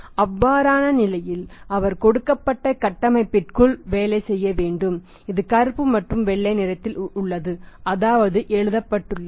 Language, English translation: Tamil, In that case he has to work within that given Framework which is in the black and white which is in writing